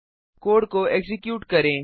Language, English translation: Hindi, Lets execute the code